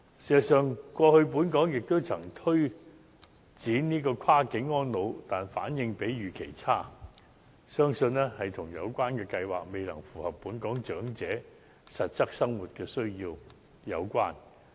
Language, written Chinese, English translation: Cantonese, 事實上，過去本港也曾推動跨境安老，但反應比預期差，相信跟有關計劃未能符合本港長者實質生活需要有關。, As a matter of fact Hong Kong has in the past promoted cross - boundary elderly care but the response was below expectation . The relevant plan has probably failed to address the actual needs of Hong Kong elderly persons in their daily lives